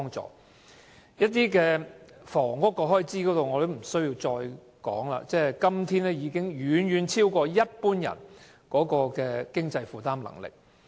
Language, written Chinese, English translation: Cantonese, 至於房屋開支，我也不用多說，因為今天的樓價已遠遠超過一般人的經濟負擔能力。, As for housing expenses I do not have too much to say because the current property prices have far exceeded the affordability of an average person